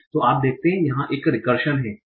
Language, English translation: Hindi, So you see there is a recursion here